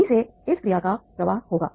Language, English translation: Hindi, That is the how this flow of action will go